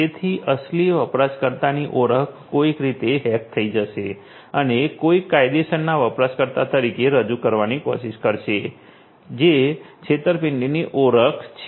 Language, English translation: Gujarati, So, identity of a genuine user will be somehow hacked and will be you know somebody will be trying to pose as a legitimate user that is the spoofing identity